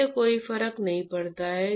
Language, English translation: Hindi, Does not matter